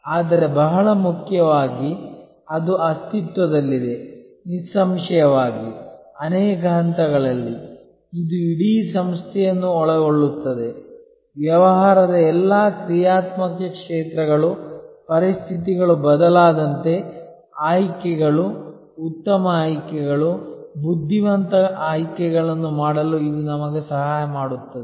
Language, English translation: Kannada, But, very importantly it exists; obviously, at multiple levels, it encompasses the whole organization, all the functional areas of the business, it helps us to make choices, good choices, wise choices as conditions change